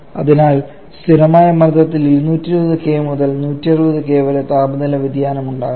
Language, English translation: Malayalam, So pressure remains constant temperature changes from 220 kelvin to 160 kelvin